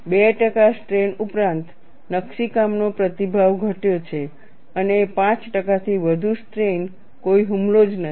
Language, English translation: Gujarati, Beyond 2 percent strain the etching response has diminished and above 5 percent strain, no attack at all